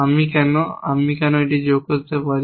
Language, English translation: Bengali, Why can I, why can I add to this